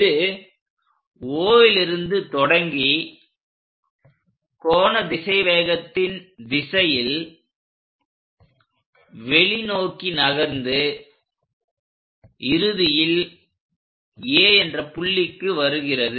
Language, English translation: Tamil, It begins at O goes in angular velocity direction radially out finally, it comes to A